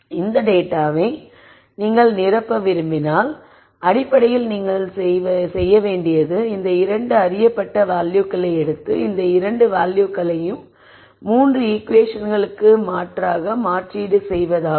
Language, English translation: Tamil, Then if you want to fill this data what you do is basically take these two known values and substitute these two values into the 3 equations